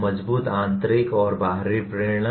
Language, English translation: Hindi, Strong intrinsic and extrinsic motivation